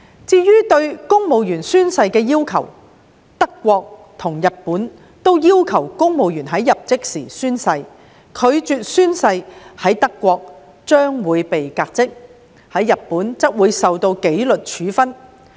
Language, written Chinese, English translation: Cantonese, 至於對公務員宣誓的要求，德國及日本均要求公務員在入職時宣誓；拒絕宣誓者，在德國將會被革職，在日本則會受到紀律處分。, Regarding the requirement for civil servants to take an oath both Germany and Japan require their civil servants to take an oath when joining the government; refusal to take an oath will result in dismissal in Germany and disciplinary action in Japan